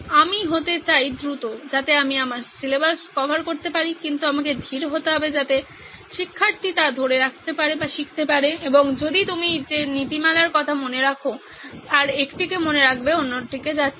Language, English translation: Bengali, I want to be fast so that I can cover my syllabus but I have to be slow so that the student retains it and if you remember one of the principles I said was going the other way round